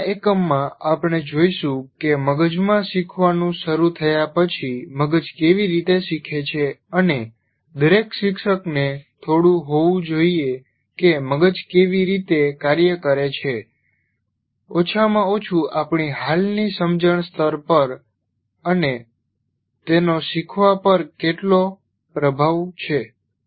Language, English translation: Gujarati, In the next unit we will look at how brains learn because every teacher after learning takes place in the brain and every teacher should have some knowledge of how the how the brain functions at least at the level now at our present level of understanding